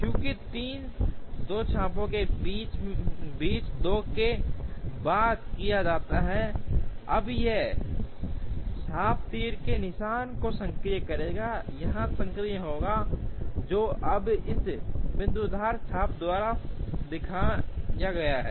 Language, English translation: Hindi, Similarly, since 3 is done after 2 between these two arcs, now this arc will be active the arrow mark here will be active, which is now shown by this dotted arc